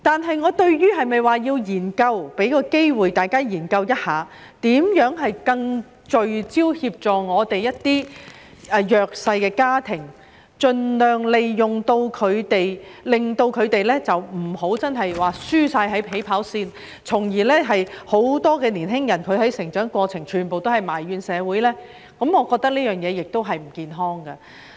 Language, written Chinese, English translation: Cantonese, 不過，我同意給大家一個機會，研究如何能更聚焦地協助一些弱勢家庭，令他們不要輸在起跑線，因為這會導致很多年輕人在成長過程中埋怨社會，我覺得這是不健康的。, However I agree to give Members an opportunity to study how to assist those disadvantaged families in a more focused manner so that they will not lag behind at the starting line . It is because this will cause many youngsters to grumble at the community during their development which I think is unhealthy